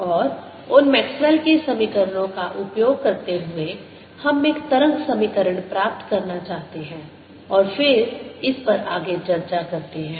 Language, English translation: Hindi, in this lecture i want to use them the way maxwell has written it and using those maxwell's equations we want to derive a wave equation and then discuss it further